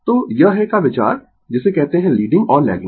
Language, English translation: Hindi, So, this is the idea of your what you call leading and lagging